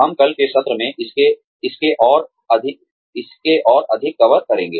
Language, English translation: Hindi, We will cover more of this, in the session tomorrow